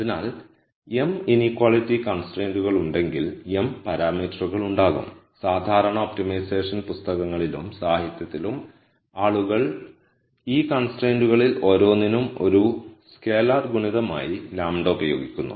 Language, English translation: Malayalam, So, if there are m inequality constraints there will be m parameters and in typical optimization books and literature people use lambda as a scalar multiple for each one of these constraints